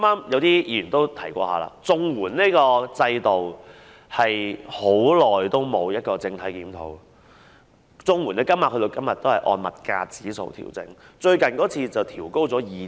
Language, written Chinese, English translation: Cantonese, 有議員剛才提到，綜援制度已久未作整體檢討，綜援金額至今仍是按照物價指數作出調整。, Some Members have just mentioned that an overall review of the CSSA system has not been conducted for a long time . To date the CSSA rates are still determined according to price indexes